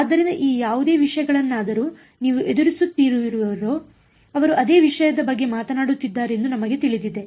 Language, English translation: Kannada, So, you encounter any of these things you know they are talking about the same thing ok